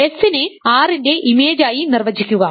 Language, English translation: Malayalam, Then and define S to be the image of R